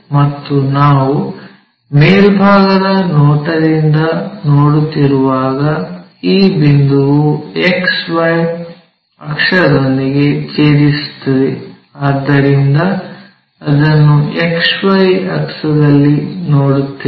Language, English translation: Kannada, And when we are looking from top view, this point is intersecting with XY axis, so we will see it on XY axis